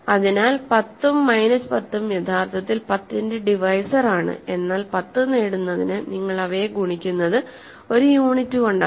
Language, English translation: Malayalam, So, 10 and minus 10 are actually divisors of 10, but the what you multiply them with to get 10 is a unit